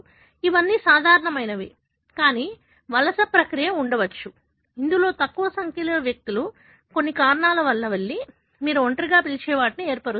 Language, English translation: Telugu, All of them are normal, but there could be a migration process, wherein a small number of individuals, because of some reason migrated out and formed what you call as isolate